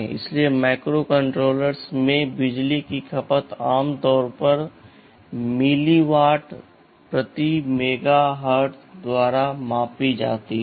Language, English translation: Hindi, So, power consumption in microcontrollers areis typically measured by milliwatt per megahertz ok